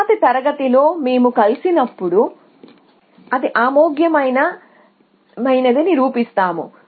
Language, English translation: Telugu, In the next class, when we meet we will prove that it is admissible